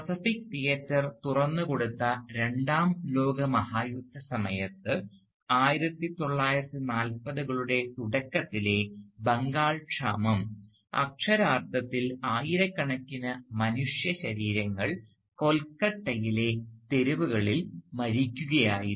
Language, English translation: Malayalam, The Bengal famine of the early 1940’s, which was triggered by the opening up of the Pacific Theatre during the Second World War, left literally thousands of skeletal human bodies dying in the streets of Calcutta